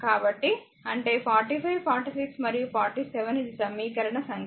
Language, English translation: Telugu, So, that is 45, 46 and 47 this is the equation number right